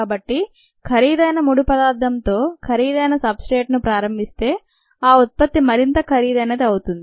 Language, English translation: Telugu, so if you start with an expensive raw material, expensive substrate, the product is going to turn out to be more expensive